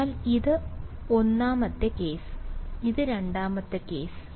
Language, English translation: Malayalam, So, this is the 1st case, this is the 2nd case